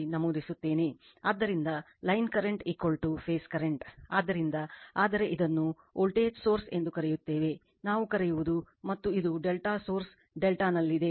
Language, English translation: Kannada, So, line current is equal to your phase current right so, but e your what you call this is voltage source, your what we call and this is at your delta source is delta